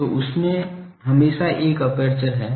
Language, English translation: Hindi, So, that has an always has an aperture